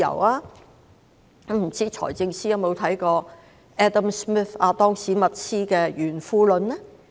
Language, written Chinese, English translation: Cantonese, 不知財政司司長有否看過亞當.史密斯的《國富論》呢？, I wonder if the Financial Secretary has read The Wealth of Nations by Adam SMITH